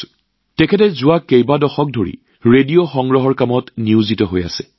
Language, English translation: Assamese, Ram Singh ji has been engaged in the work of collecting radio sets for the last several decades